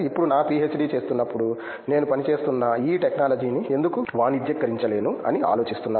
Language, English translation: Telugu, Now after while doing my PhD I am thinking like why cannot I commercialize this technology which I am working on